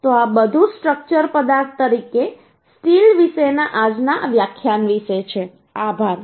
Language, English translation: Gujarati, So this is all about the todays lecture about the steel as a structural material